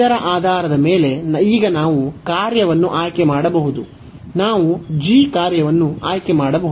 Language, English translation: Kannada, So, based on this now we can select the function, we can choose the function g